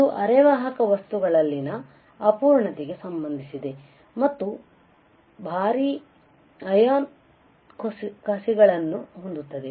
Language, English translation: Kannada, It is related to imperfection in semiconductor material and have heavy ion implants